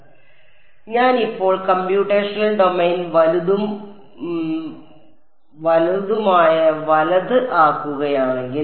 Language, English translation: Malayalam, So, if I now make the computational domain larger and larger right